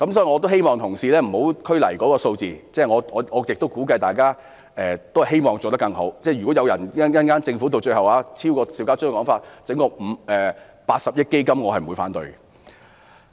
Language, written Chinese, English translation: Cantonese, 我希望同事不要拘泥於數字，我亦相信大家都希望做得更好，如果政府最終提出高於邵家臻議員的說法，提出設立一項80億元的基金，我是不會反對的。, I hope that my colleagues will not stick to the figures . I also believe that we want to do better and have a better arrangement . If the Governments final proposed amount is greater than what is suggested by Mr SHIU Ka - chun and if it proposes the establishment of a 8 billion fund I will not object to it